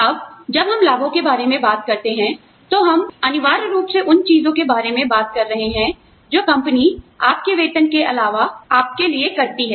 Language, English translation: Hindi, Now, when we talk about benefits, we are essentially talking about things, that the company does for you, in addition to your salary